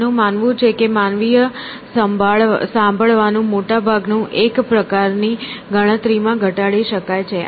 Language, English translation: Gujarati, He believed that much of human listening could be reduced to calculations of a sort